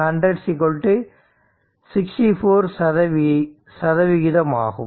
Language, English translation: Tamil, 4 into 100 that is 64 percent right